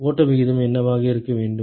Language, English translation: Tamil, What should be the flow rate